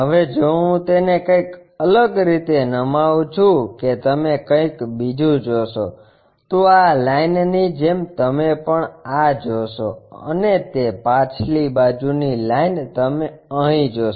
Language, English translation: Gujarati, Now, if I tilt that you see something else, like this line you will see this one and also that backside line here you see this one